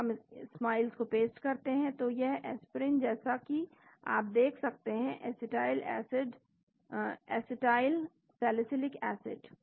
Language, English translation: Hindi, So, we paste the Smiles then this is the Aspirin as you can see acetylsalicylic acid